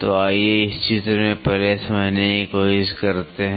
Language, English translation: Hindi, So, in this figure let us first try to understand